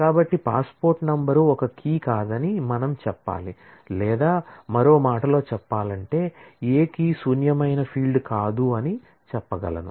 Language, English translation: Telugu, So, we have to say that passport number cannot be a key or in other words, we can say that no key can be a null able field